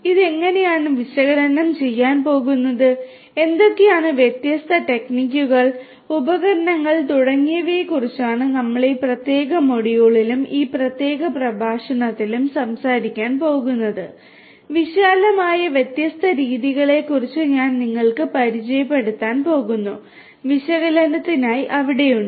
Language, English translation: Malayalam, How it is going to be analyzed, what are the different techniques, tools and so on is what we are going to talk about in this particular module and in this particular lecture, I am going to introduce to you about the different broadly the different methodologies that are there for the analysis